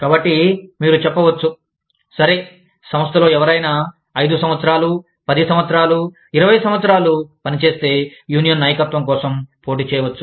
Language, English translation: Telugu, So, you may say, okay, anyone, who has worked in the organization, for 5 years, 10 years, 20 years, can compete for the leadership of the union